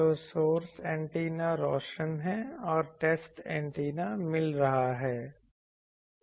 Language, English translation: Hindi, So, then source antenna is illuminating and test antenna is getting